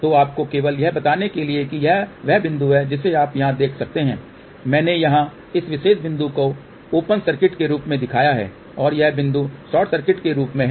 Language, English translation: Hindi, So, just to tell you suppose this is the point you can see over here I have shown here this particular point as open circuit and this point as short circuit